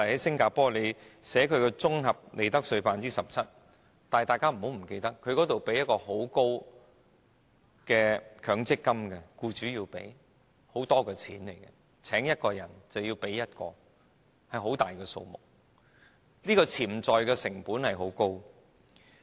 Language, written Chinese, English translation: Cantonese, 新加坡的綜合利得稅是 17%， 但不要忘記，當地僱主須繳付高昂的強積金供款，每聘請一個人便要多付一個人的供款，是很大的數目，潛在成本很高。, Singapores tax rate on corporate profits is 17 % . But we should not forget that employers in Singapore are required to pay huge amount of contributions to provident funds; they are required to contribute for each additional staff employed . The amount of money involved is huge meaning that the potential costs are very high